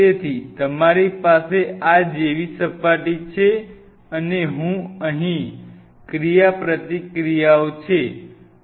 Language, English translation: Gujarati, So, you have the surface like this and here are the interactions right